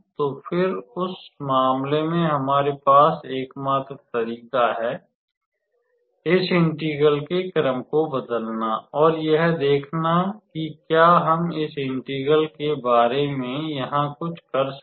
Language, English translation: Hindi, So, then in that case the only way out we have is to change the order of this integration and see whether we can do something about this integral here